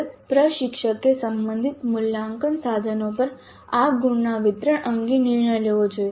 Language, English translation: Gujarati, Now the instructor must decide on the distribution of these marks over the relevant assessment instruments